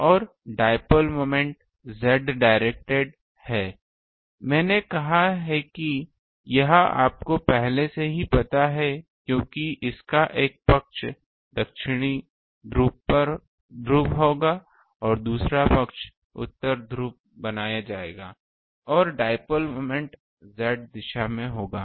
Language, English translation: Hindi, And dipole moment is Z directed I said this you already know because one side of it will be ah south pole, another side is north pole will be created and the dipole moment will be in the Z direction